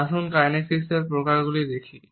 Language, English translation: Bengali, Let’s look at the types of kinesics